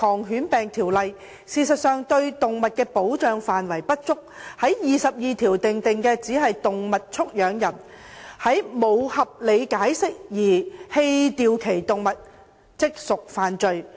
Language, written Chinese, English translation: Cantonese, 事實上，現時對動物的保障不足，《條例》第22條訂明，"動物畜養人如無合理解釋而棄掉其動物，即屬犯罪"。, In fact the protection of animals is currently inadequate . Section 22 of the Ordinance provides that a keeper of any animal who without reasonable excuse abandons that animal commits an offence